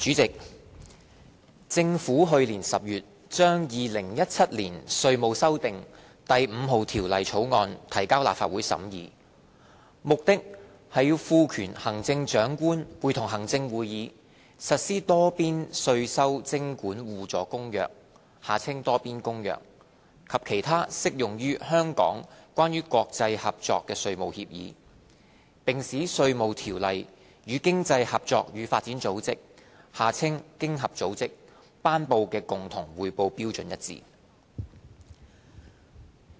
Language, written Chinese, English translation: Cantonese, 主席，政府去年10月將《2017年稅務條例草案》提交立法會審議，目的是賦權行政長官會同行政會議，實施《多邊稅收徵管互助公約》及其他適用於香港關於國際合作的稅務協議，並使《稅務條例》與經濟合作與發展組織頒布的共同匯報標準一致。, President the Inland Revenue Amendment No . 5 Bill 2017 the Bill introduced to the Legislative Council for scrutiny last October seeks to empower the Chief Executive in Council to give effect to the Multilateral Convention on Mutual Administrative Assistance in Tax Matters and other agreements on international tax cooperation that apply to Hong Kong and to align the Inland Revenue Ordinance IRO with the Common Reporting Standard CRS promulgated by the Organisation for Economic Co - operation and Development OECD